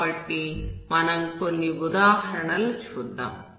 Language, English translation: Telugu, So we will see some examples